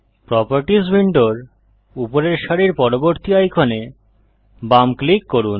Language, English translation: Bengali, Left click the next icon at the top row of the Properties window